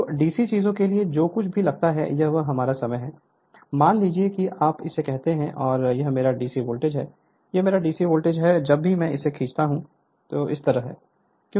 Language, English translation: Hindi, So, for DC thing whatever we know suppose this is our time, suppose this is your what you call the your and this is your my DC voltage, this is my DC voltage whenever we draw it is like this constant right